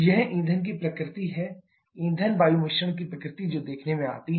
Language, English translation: Hindi, That is the nature of the fuel, the nature of fuel air mixture that comes into play